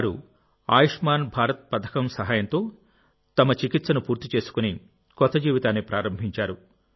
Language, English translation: Telugu, They got their treatment done with the help of Ayushman Bharat scheme and have started a new life